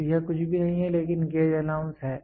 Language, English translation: Hindi, So, this is nothing, but gauge allowance